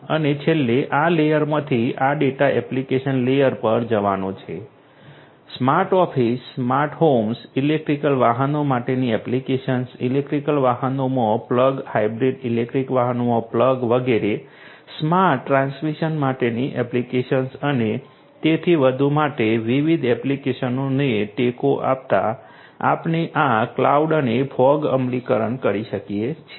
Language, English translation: Gujarati, And finally, this data from this layer is going to get to the application layer; application layer, supporting different applications for smart offices, smart homes, applications for electric vehicles, plug in electric vehicles, plug in hybrid electric vehicles, etcetera, applications for smart transmission and so on and in between we can have this cloud and fog implementations